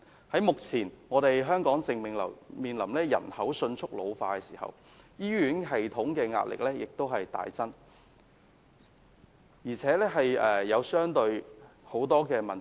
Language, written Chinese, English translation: Cantonese, 香港目前正面臨人口迅速老化，醫院系統的壓力亦大增，而且也出現了很多問題。, Hong Kong is facing the problem of a rapid ageing population thus the pressure on its hospital system has significantly increased while many problems have emerged